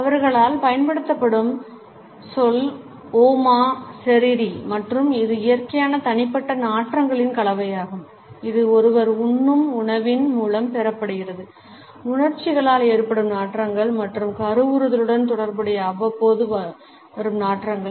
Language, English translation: Tamil, The word which is used by them is Oma Seriri and it is a combination of natural personal odors which are acquired through the food one eats, odors which are caused by emotions and periodic odors which are related to fertility